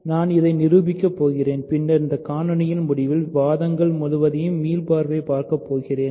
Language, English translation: Tamil, So, I am going to prove this and then I will at the end of this video, I will revise the whole sequence of arguments